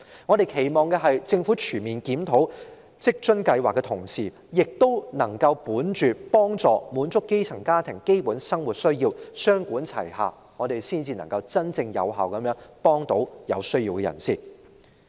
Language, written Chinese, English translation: Cantonese, 我們期望政府全面檢討在職家庭津貼計劃的同時，亦能考慮幫助並滿足基層家庭的基本生活需要，雙管齊下，這樣才能真正有效地幫助有需要的人士。, We hope the Government will conduct a comprehensive review of WFA and concurrently consider helping grass - roots families in meeting their basic needs . Only by adopting this two - pronged approach can the Government offer effective assistance to people in need